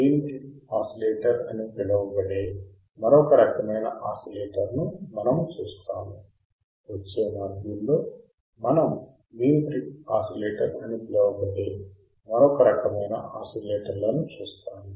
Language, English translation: Telugu, We will see another class of oscillator that is called a Wein bridge oscillator, all right the next module what we will see another class of oscillators that are called Wein bridge oscillator